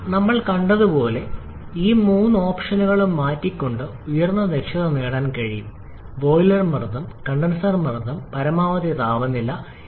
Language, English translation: Malayalam, But as we have seen we can get higher efficiency by changing all these three options: boiler pressure, condenser pressure and maximum temperature